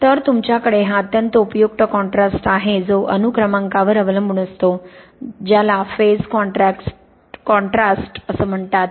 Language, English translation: Marathi, So, you have this extremely useful contrast which depends on the atomic number which leads to what is called phase contrast